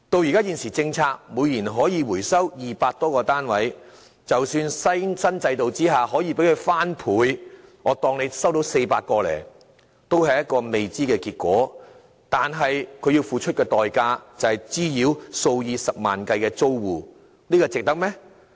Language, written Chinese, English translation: Cantonese, 按現行政策，每年可回收200多個單位，但即使在新制度下可收回雙倍數目的單位——假設可以收回400個——也仍只是個未知數，但所要付出的代價，卻是滋擾數以十萬計的租戶，這是否值得呢？, Under the current policies some 200 such units can be recovered per annum but even if the number of units can be recovered under the new initiative is doubled―say 400 units―the actual amount still remains unknown . Yet the nuisance to tens of thousands of households will be the price that we have to pay